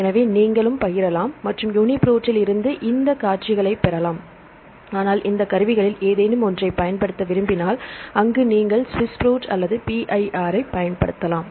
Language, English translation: Tamil, So, you can share and you can get these sequences from UniProt, but if you want to use any of these tools, there you can use the SWISS PROT or PIR